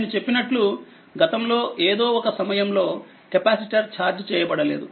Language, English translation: Telugu, I told you that at the past in the past at some time, capacitor will remain uncharged